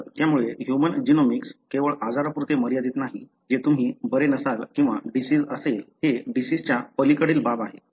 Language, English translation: Marathi, So, the human genomics is not restricted only to disease that is only when you are not well or having a disease that I am going to bother about you; this goes beyond disease